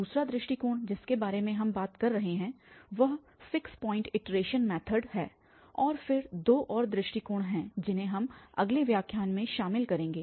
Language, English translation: Hindi, The second approach we will be talking about the fixed point iteration method, and then there are two more approaches which we will cover in the next lecture